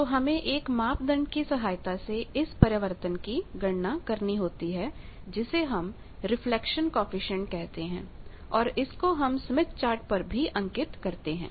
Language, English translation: Hindi, So, we need to find out how much wave got reflected that parameter is called Reflection Coefficient that also is displayed on the same smith chart